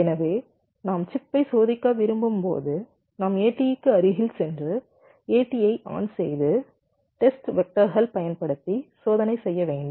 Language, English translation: Tamil, so when you want to test the chip, we have to go near the a t e, put it on the a t e and a t e will be just applying the test vectors and test it